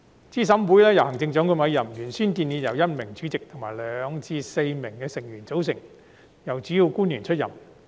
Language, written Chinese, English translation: Cantonese, 資審會由行政長官委任，原先建議由1名主席及2名至4名成員組成，由主要官員出任。, The members of CERC are to be appointed by the Chief Executive . It was originally proposed that CERC should consist of the chairperson and two to four members who are principal officials